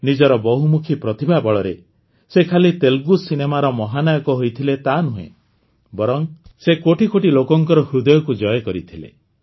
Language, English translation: Odia, On the strength of his versatility of talent, he not only became the superstar of Telugu cinema, but also won the hearts of crores of people